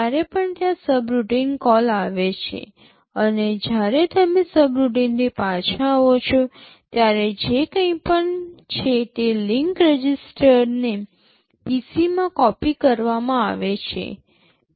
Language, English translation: Gujarati, Whenever there is a subroutine call and when you are returning back from the subroutine, whatever is then the link register is copied back into PC